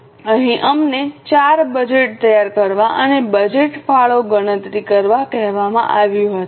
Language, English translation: Gujarati, So, here we were asked to prepare 4 budgets and also compute the budgeted contribution margin